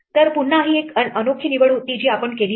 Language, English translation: Marathi, So, again this was a unique choice that we had made